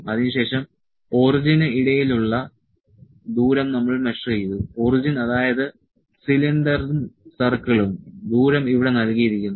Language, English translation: Malayalam, Then distance we measured between the origin; origin that is the cylinder and the circle the distance is given here